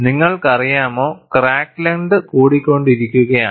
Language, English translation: Malayalam, You know, the crack is growing in length